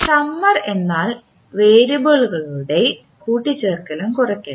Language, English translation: Malayalam, Summer means the addition and subtraction of variables